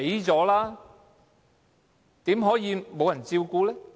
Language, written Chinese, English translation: Cantonese, 怎麼可以沒有人照顧的呢？, How can these people be left alone without care?